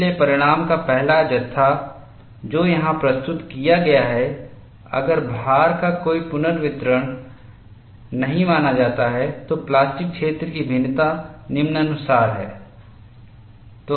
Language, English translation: Hindi, So, the 1st set of result, what is presented here is if no redistribution of loading is considered, the variation of plastic zone is as follows